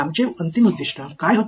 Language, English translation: Marathi, What was our ultimate objective